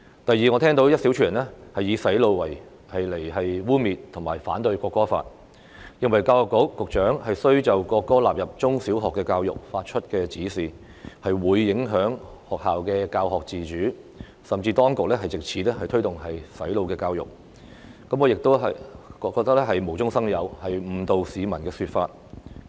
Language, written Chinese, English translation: Cantonese, 第二，我聽到一小撮人以"洗腦"來污衊和反對《條例草案》，認為教育局局長須就國歌納入中小學教育發出指示，是影響學校的教育自主，甚至指當局藉此推動"洗腦教育"，我亦認為這是無中生有，是誤導市民的說法。, Secondly I have heard a handful of people stigmatize and oppose the Bill by calling it brainwashing . According to them directions given by the Secretary for Education for the inclusion of the national anthem in primary and secondary education is undermining educational independence and promoting brainwashing education . I find this argument groundless and misleading